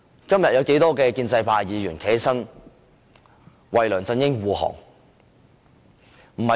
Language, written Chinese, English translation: Cantonese, 今天有多少位建制派議員站起來為梁振英護航？, How many Members have stood up to shield LEUNG Chun - ying today?